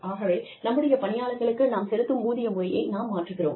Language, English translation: Tamil, So, we are changing the manner in which, we pay our employees